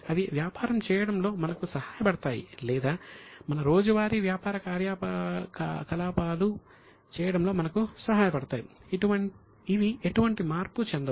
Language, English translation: Telugu, They help us in doing business or they help us in doing our regular activities but they are themselves are not getting converted